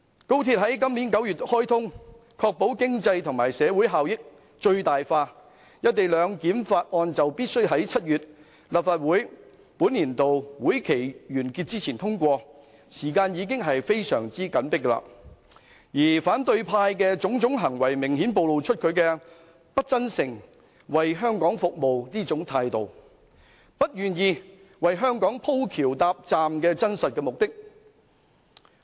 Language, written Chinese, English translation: Cantonese, 高鐵將在今年9月開通，確保經濟和社會效益最大化，而《條例草案》必須在立法會本年度會期於7月完結前通過，時間已經非常緊迫，而反對派的種種行為明顯暴露其不真誠為香港服務的態度，以及不願意為香港"鋪橋搭站"的真正目的。, This September will see the commissioning of XRL to ensure maximization of economic and social benefits and the Bill must be passed by the end of the current session of the Legislative Council in July . Time is running short and the various acts of the opposition camp have clearly revealed their insincerity in serving Hong Kong and their true reluctance to facilitate the construction of bridges and stations for Hong Kong